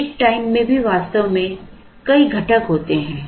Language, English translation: Hindi, Lead time also actually has several components